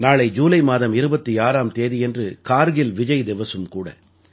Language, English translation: Tamil, Tomorrow, that is the 26th of July is Kargil Vijay Diwas as well